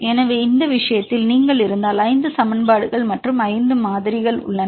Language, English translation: Tamil, So, in this case right if you have 5 equations and 5 variables